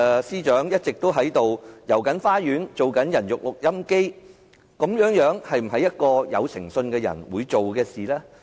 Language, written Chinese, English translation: Cantonese, 司長一直在"帶我們遊花園"，當"人肉錄音機"，這是否一個有誠信的人該做的事？, The Secretary for Justice has been beating around the bush and acting like a human recorder . Is that what a person with integrity should do?